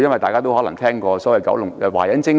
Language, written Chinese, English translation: Cantonese, 大家都可能聽過所謂"華仁精神"。, You may have heard of the so - called Wah Yan spirit